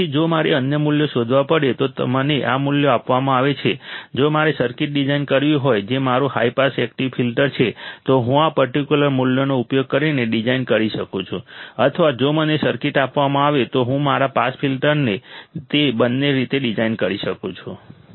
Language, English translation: Gujarati, So, if I am given these values if I had to find the other values, if I had to design the circuit that is my high pass active filter, I can design by using these particular values or if I am given a circuit I can design my pass filter both the ways I can do it